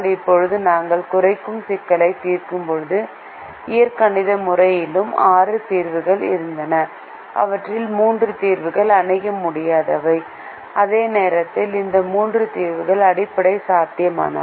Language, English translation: Tamil, now, if we go back to the minimization problem now, when we solved the minimization problem, we also had six solutions in the algebraic method and three of these solutions were infeasible, while three of these solutions were basic feasible